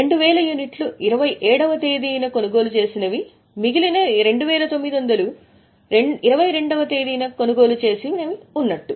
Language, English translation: Telugu, So, 2,000 units at 27th and 2,900 purchased on 22nd